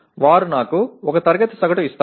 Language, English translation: Telugu, They give me one class average